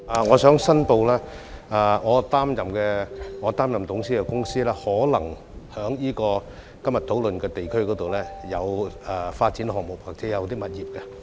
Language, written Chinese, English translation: Cantonese, 我申報，我擔任董事的公司可能在今天討論的地區擁有發展項目或物業。, I declare that the companies in which I serve as a director may have development projects or properties in the district under discussion today